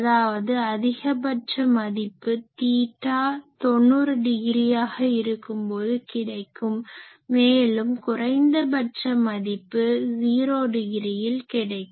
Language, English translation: Tamil, So; obviously, it is having a maximum at theta is equal to 90 degree, because this point is the theta is equal to 90 degree and it is having a minimum at 0